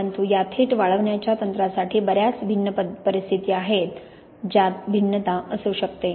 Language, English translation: Marathi, But for these direct drying techniques there are lots of different conditions that can be varied